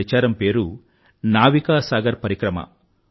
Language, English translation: Telugu, The expedition has been named, Navika Sagar Parikrama